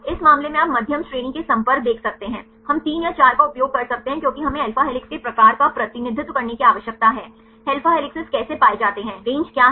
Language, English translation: Hindi, In this case you can see medium range contacts, we use 3 or 4 because we need to represent the type of alpha helices right what how the alpha helices are found, what is the range